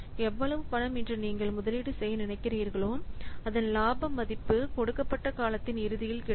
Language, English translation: Tamil, The amount that you are willing to, what investment today is determined by the value of the benefits at the end of the given period